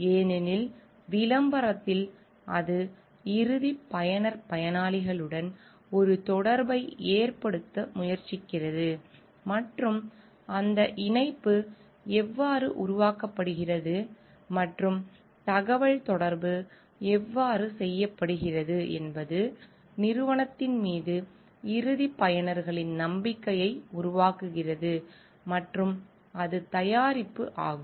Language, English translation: Tamil, Because in advertisement it tries to a make a connection with the end user beneficiaries and the way that connection is made, and how the communication is made it develops a lot of trust of the end users on the company and it is product